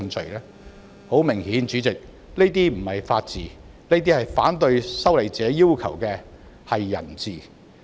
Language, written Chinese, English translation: Cantonese, 主席，很明顯這不是法治，而是反對修例者要求的"人治"。, President this is obviously not the rule of law but the rule of man as demanded by the opponents of the legislative amendment